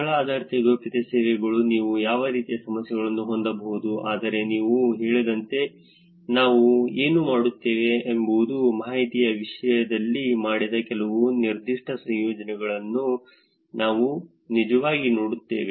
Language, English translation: Kannada, Location based privacy services are what kind of issues you can have, but what we will do is as I said we will actually look at some specific research that have done in terms of information